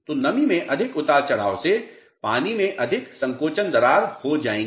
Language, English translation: Hindi, So, more fluctuation in humidity will result in more shrinkage cracking of the material